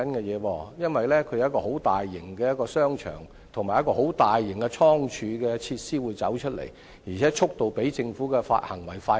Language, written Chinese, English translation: Cantonese, 那裏將會落成一個很大型的商場及倉儲設施，而且興建速度較政府的發展更快。, A mega shopping mall and storage facilities will be built there with a pace faster than the development of the Government